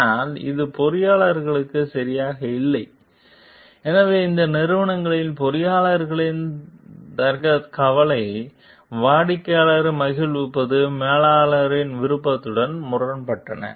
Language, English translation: Tamil, But it is not ok for the engineers and that is where so in these companies the engineers quality concerns conflicted with the managers desire to please the customer